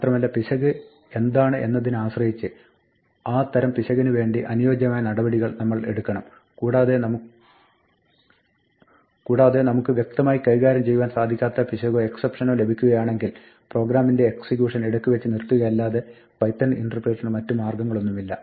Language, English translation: Malayalam, And depending on what the error is, we might take appropriate action for that type of error and finally, if we do get an error or an exception which we have not explicitly handled then the python interpreter has no option, but to abort the program